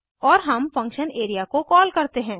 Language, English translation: Hindi, And we call the function area